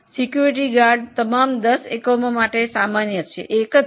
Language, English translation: Gujarati, Security is common for all the 10 units